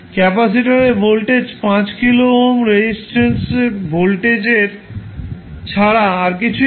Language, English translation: Bengali, The voltage across capacitor is nothing but voltage across the 5 kilo ohm resistance